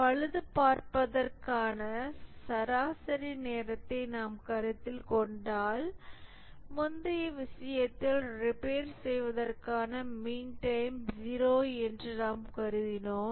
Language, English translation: Tamil, If we consider mean time to repair, in the previous case we just considered mean time to repair is 0